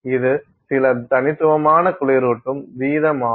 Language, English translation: Tamil, So, that is some phenomenal cooling rate